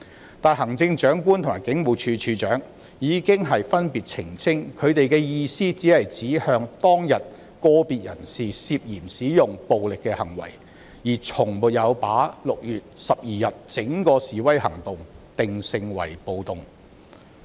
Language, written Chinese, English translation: Cantonese, 然而，行政長官及警務處處長已經分別澄清，他們的意思只是指向當天個別人士涉嫌使用暴力的行為，而從沒有把6月12日整個示威行動定性為"暴動"。, However the Chief Executive and the Commissioner of Police have clarified separately that they only said that some individuals were suspected of taking violent acts on that day and they have never categorized the whole protest on 12 June as a riot